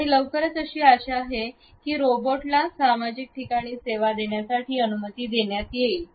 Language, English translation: Marathi, And very soon it is hoped that it would allow a robots to serve in social spaces